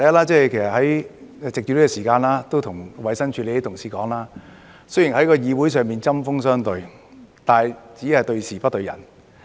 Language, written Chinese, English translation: Cantonese, 首先，我想藉此時間向衞生署的同事說，雖然我們在議會上針鋒相對，但只是對事不對人。, First of all I would like to take this opportunity to say to colleagues in the Department of Health that although we have been tit - for - tat in the legislature we have only been targeting at the issue rather than any individual person